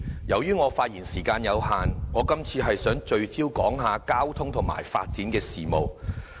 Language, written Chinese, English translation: Cantonese, 由於我的發言時間有限，我今次想聚焦談論交通和發展的事宜。, Owing to time constraint I will focus on transport and development issues